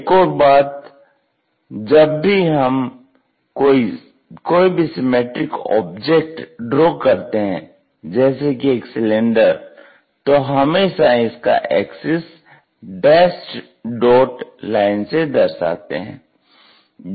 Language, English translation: Hindi, Second thing whenever we are drawing the cylinders symmetric kind of objects, we always show by axis dash dot lines